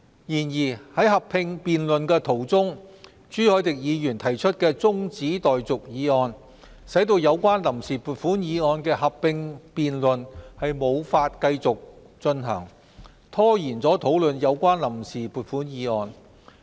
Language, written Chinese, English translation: Cantonese, 然而，在合併辯論途中，朱凱廸議員提出中止待續議案，使有關臨時撥款議案的合併辯論無法繼續進行，拖延討論有關臨時撥款議案。, However during last weeks joint debate Mr CHU Hoi - dick moved an adjournment motion which interrupted the joint debate on the Vote on Account Resolution and delayed its discussion